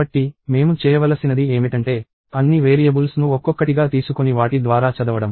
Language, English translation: Telugu, So, one thing that I have to do is take all the variables one at a time and read through them